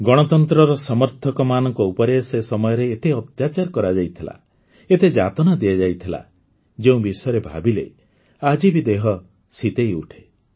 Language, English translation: Odia, The supporters of democracy were tortured so much during that time, that even today, it makes the mind tremble